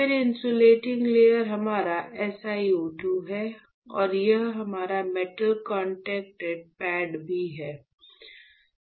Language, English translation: Hindi, Then the insulating layer right insulting layer is our S I o 2 and this is also our metal contact pad